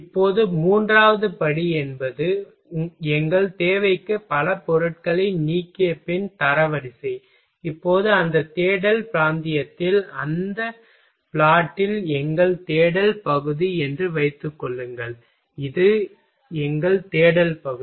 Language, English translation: Tamil, Now third step is the ranking after eliminating the several materials from the for our requirement, now whatever material we found that in that search region suppose that was our search region in that plot, this that was our search region